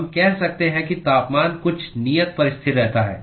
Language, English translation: Hindi, We can say that the temperature is fixed at some constant